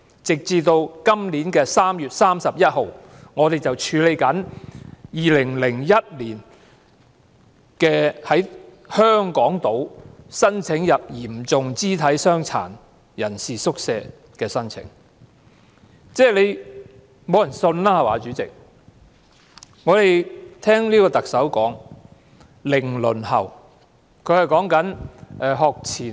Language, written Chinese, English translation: Cantonese, 截至今年3月31日，正在處理的香港島嚴重肢體傷殘人士宿舍的入住申請，是2001年遞交的申請。, As at 31 March this year the applications being processed by hostels for persons with severe disabilities on Hong Kong Island were those submitted in 2001